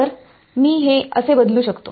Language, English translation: Marathi, So, this I can replace like this